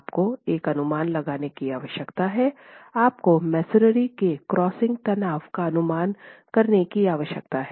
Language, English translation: Hindi, Of course, you need to make an estimate, you need to use an estimate of the crushing strain of masonry